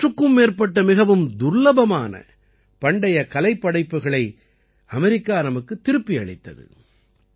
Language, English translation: Tamil, America has returned to us more than a hundred rare and ancient artefacts